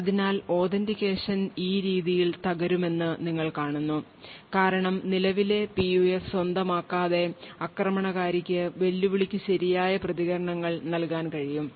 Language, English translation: Malayalam, Thus you see that authentication will break in this way because the attacker without actually owning the current PUF would be able to provide the right responses for challenges